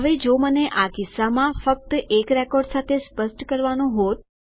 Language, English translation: Gujarati, Now if I were to specify in this case, with only one record..